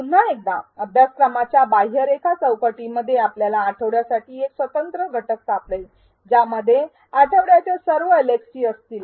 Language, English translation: Marathi, Once again, in the course outline panel you will find a separate unit for the week which will contain all the LxTs for the week